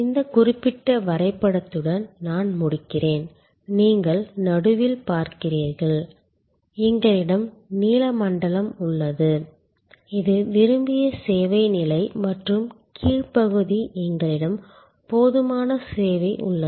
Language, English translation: Tamil, I will conclude with this particular diagram and you see in the middle, we have the blue zone which is that desired level of service and a lower part we have adequate service